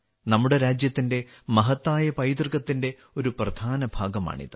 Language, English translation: Malayalam, It is an important part of the glorious heritage of our country